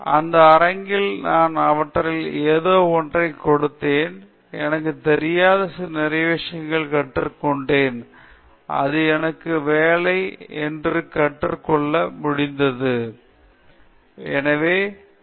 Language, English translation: Tamil, So in that platform I had something to offer to them and also I learnt a lot of things which I didn’t know, I taught that it is always all working for me, but they set up some scenario in which my thing was not working